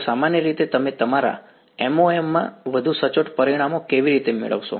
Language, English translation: Gujarati, So, typically what how will you get more accurate results in your MoM